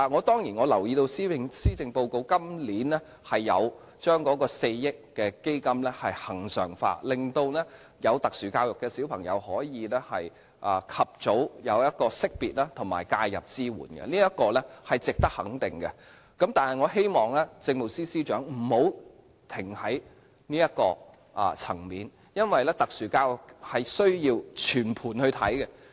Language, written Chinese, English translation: Cantonese, 當然，我留意到今年的施政報告將4億元基金恆常化，令有特殊教育需要的兒童可以及早獲得識別及介入支援，這是值得肯定的，但我希望政務司司長不要停在這個層面，因為特殊教育需要全盤來看。, Admittedly I am aware of the proposal for regularizing the fund of 400 million in this years Policy Address which allows early identification of and early intervention for children with SEN and this is a commendable initiative . Yet I hope the Chief Secretary for Administration will not stop his efforts at this level because the provision of special education should be examined in a comprehensive manner